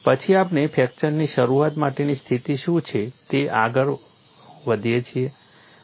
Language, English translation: Gujarati, Next we move on to what is the condition for onset of fracture